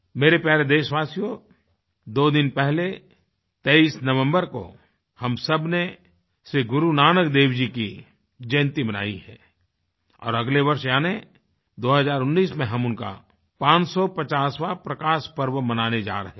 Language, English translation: Hindi, My dear countrymen, two days back on 23rd November, we all celebrated Shri Guru Nanak Dev Jayanti and next year in 2019 we shall be celebrating his 550th Prakash Parv